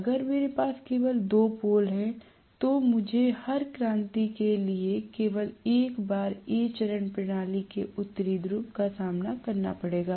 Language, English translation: Hindi, If I have only two poles I am going to have for every revolution only once A phase is going to face the no north pole of the system